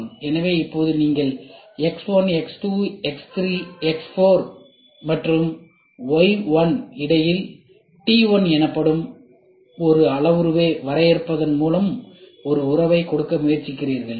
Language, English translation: Tamil, So, now you try to give a relationship between x 1, x 2, x 3, x 4 to y 1 by defining one parameter called t, ok